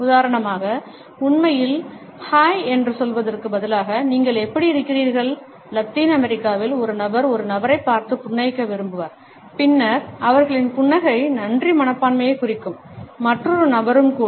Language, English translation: Tamil, For example, instead of actually saying hi, how are you, a person in Latin America perhaps would prefer to smile at a person and then their smile would suggest the thank you attitude, also by another person